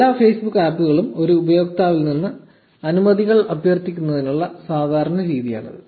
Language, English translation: Malayalam, This is the standard way all Facebook apps request permissions from a user